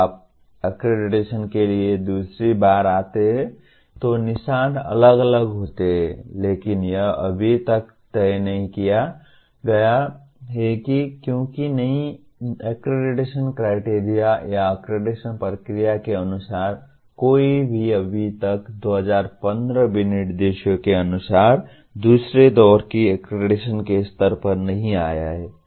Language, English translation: Hindi, When you come for the second time for accreditation the marks are different but that has not been yet decided because as per the new accreditation criteria or accreditation process no one has yet come to the level of second round accreditation as per the 2015 specifications